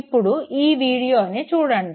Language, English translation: Telugu, Look at this very video